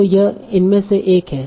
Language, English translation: Hindi, So this is one of the goal